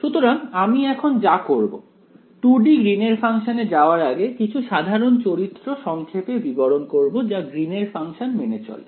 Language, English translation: Bengali, So, what I will do now is before we go to 2 D Green’s functions I want to summarize a few general properties that Green’s functions obey in general ok